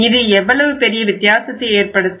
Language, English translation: Tamil, So will have to see how much difference it makes